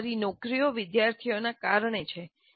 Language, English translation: Gujarati, So, our jobs exist because of the students